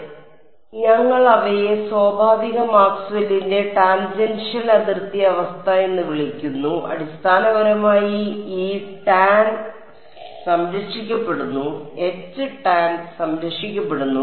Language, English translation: Malayalam, So, we are I am calling them natural Maxwell’s tangential boundary condition right/ Basically E tan is conserved, H tan is conserved